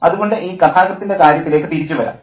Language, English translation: Malayalam, So, let me come back to the point about the narrator